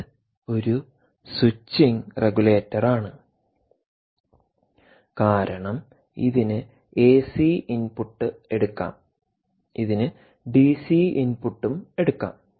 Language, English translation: Malayalam, its a switching regulator because, if it is switching, it can take ac input, it can also take dc input